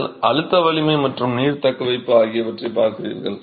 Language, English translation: Tamil, And you're looking at the compressive strength and the water retentivity